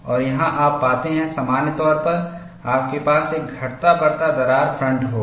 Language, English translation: Hindi, And here, you find, in general, you will have a varying crack front